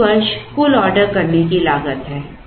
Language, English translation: Hindi, This is the total ordering cost per year